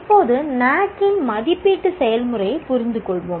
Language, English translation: Tamil, Now let us understand the assessment process of NAC